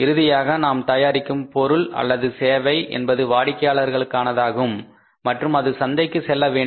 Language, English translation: Tamil, See ultimately we are producing a product or generating a service that is only for the customers and it has to go to the market